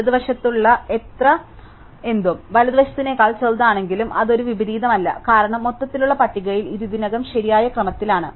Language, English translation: Malayalam, Anything on the left, if it is smaller than something on the right, then it is not an inversion, because it is already in the correct order in the overall list